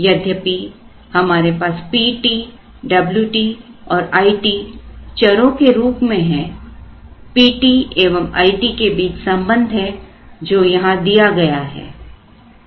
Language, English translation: Hindi, So, even though we have P t, W t and I t as variables there is a relationship between P t and I t which is given here